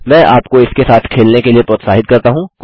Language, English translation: Hindi, I encourage you to play around with it